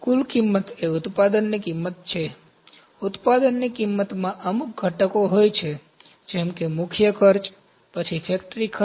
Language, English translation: Gujarati, Total cost is the cost of the product, cost of the product has certain components like prime cost, then factory cost